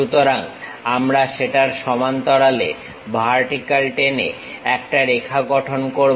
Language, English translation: Bengali, So, we construct a line parallel to that dropping through vertical